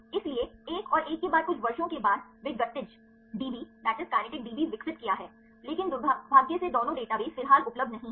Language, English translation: Hindi, So, another one is after few years started they developed kinetic DB, but unfortunately both the databases are not available at the moment